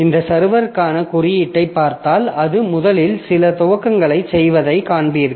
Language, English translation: Tamil, So, if you look into the code for this server, you will see that it first does some initialization